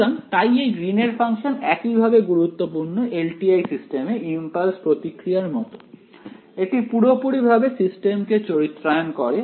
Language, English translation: Bengali, So, that is why this Green’s function holds the same importance as the impulse response does in LTI systems, it completely characterizes the system ok